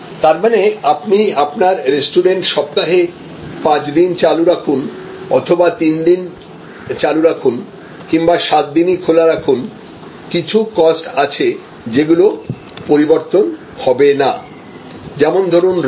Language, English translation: Bengali, So, whether you run your restaurant 5 days in a week or you run your restaurant 3 days in a week or 7 days in a week, there are certain costs, which will remain unaltered like rent